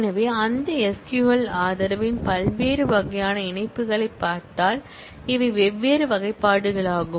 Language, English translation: Tamil, So, if we look into the different types of join that SQL support, these are the different classifications